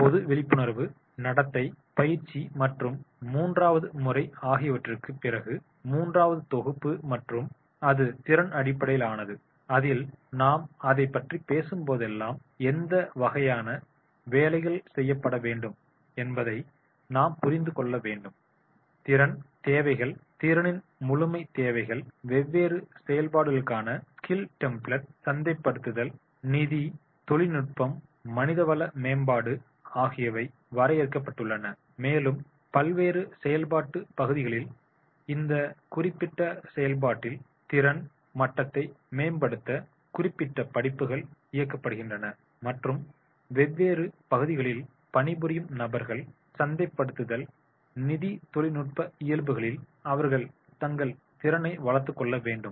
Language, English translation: Tamil, The third set after the general awareness behavior training and the third set and that is the skill based wherein whenever we talk about that is the we have to understand what type of the jobs are to be done then the skill requirement perfection of the skill requirement the skill template for the different functions sales and technical, HR, among others are defined and the specific courses are run to enhance the skill level in this particular functions of the different functional areas and the persons, those who are working into different areas, marketing, finance, technical and HR, they are supposed to develop their competency